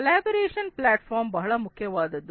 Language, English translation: Kannada, Collaboration platforms are very important